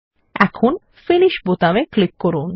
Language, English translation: Bengali, Now lets click on the Finish button